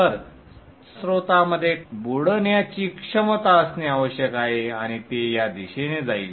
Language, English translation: Marathi, So the source has to have sinking capability and it will go in this direction